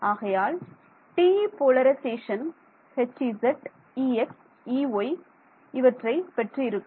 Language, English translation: Tamil, So, TE polarization will have H z E x E y